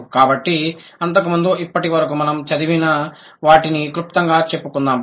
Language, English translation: Telugu, So, before that, let's summarize what we have studied so far